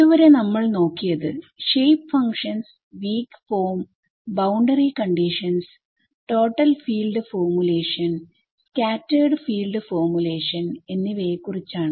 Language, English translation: Malayalam, So, so far we have looked at shape functions, weak form, boundary conditions and choice of formulation total field or scattered field formulation